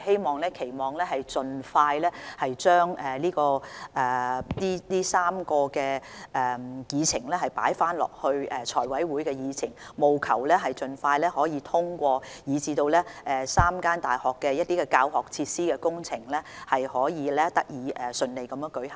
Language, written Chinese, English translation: Cantonese, 我們期望能夠盡快將這3個項目重新加入財委會的議程，務求盡快獲得通過，使3間大學的教學設施工程得以順利展開。, We hope that these three items can be again put on the agenda of FC as soon as possible for approval at the earliest opportunity so as to enable the works projects of the teaching facilities of the three universities to be kick - started smoothly